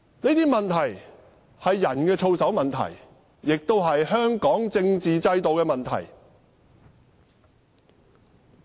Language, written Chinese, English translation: Cantonese, 這些問題是人的操守問題，亦是香港政治制度的問題。, These issues concern his integrity and also the political system of Hong Kong